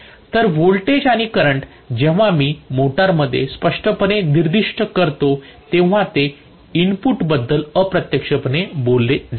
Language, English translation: Marathi, So, voltage and current when I specify very clearly in a motor it is going to indirectly talk about the input